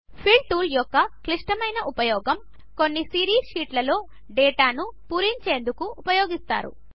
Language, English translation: Telugu, A more complex use of the Fill tool is to use it for filling some series as data in sheets